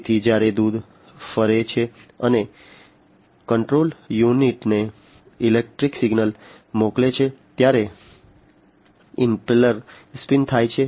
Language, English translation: Gujarati, So, impeller spins when the milk moves and sends the electrical signal to the control unit